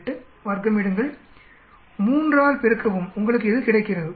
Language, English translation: Tamil, 8, square it, multiply by 3, you get this